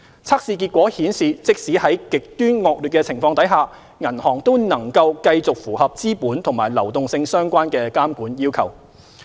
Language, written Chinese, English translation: Cantonese, 測試結果顯示即使在極端惡劣的情況下，銀行都能夠繼續符合資本和流動性相關的監管要求。, The results indicate that even in extremely adverse situations banks will still be able to meet the relevant capital and liquidity supervisory requirements